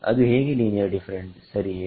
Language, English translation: Kannada, How is linear different ok